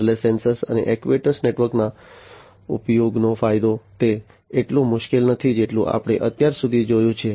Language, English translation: Gujarati, So, the advantage of use of wireless sensor and actuator network; is that it is not so difficult as we have seen so far